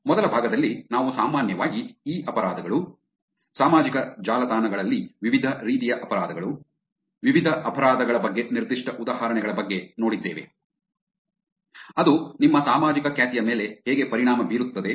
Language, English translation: Kannada, Also in the first part, we generally saw about what e crimes are, different types of crimes on social networks, specific examples about different crimes; how that affects yor social reputation